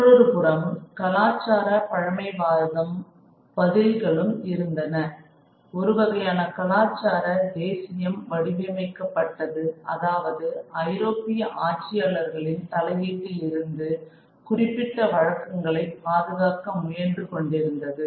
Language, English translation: Tamil, And on the other hand, there was the response of social and cultural conservatism, a kind of a cultural nationalism that was sought to be shaped, trying to protect certain cultural practices from the intervention from European rulers